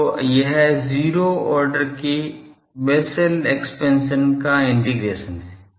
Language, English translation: Hindi, So, it is an integration of Bessel function of 0 order